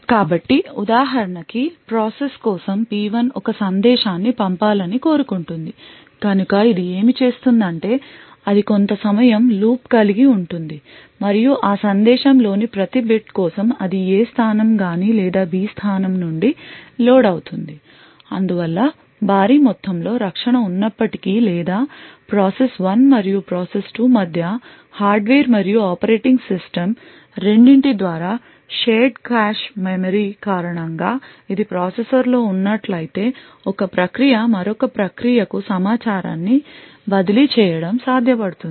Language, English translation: Telugu, So for each let us say for example process P1 wants to send a message so what it would do is that it would have an in have a while loop and for each bit in that message it would either load from the A location or the B location so thus we see that it is possible even though there is huge amounts of protection or between process 1 and process 2 both by the hardware as well as the operating system due to the shared cache memory that is present in the processor it would be possible for one process to transfer information to another process